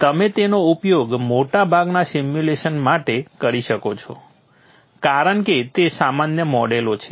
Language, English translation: Gujarati, You can use it for most of the simulation because they are generic models